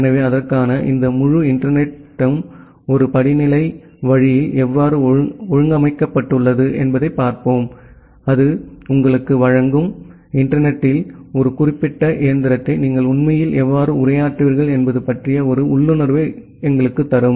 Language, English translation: Tamil, So, for that let us look into that how this entire internet is organized in a hierarchical way, that will give you, give us an intuition about how will you actually address a particular machine in the internet